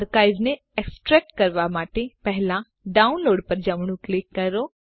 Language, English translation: Gujarati, To extract the archive, first right click on the download